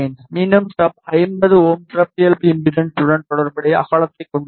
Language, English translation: Tamil, Again the stub has a width corresponding to a 50 ohm characteristic impedance